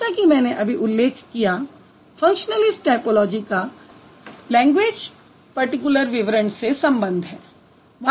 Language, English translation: Hindi, And functionalist as I have just mentioned, functionalist approach of typology deals with language particular description